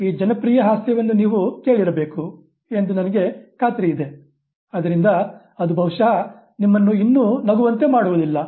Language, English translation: Kannada, I am sure you must have heard this popular joke which perhaps doesn't make you laugh anymore